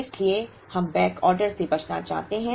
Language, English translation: Hindi, Therefore, we want to avoid backorder